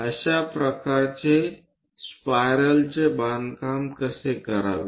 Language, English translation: Marathi, How to construct such kind of spirals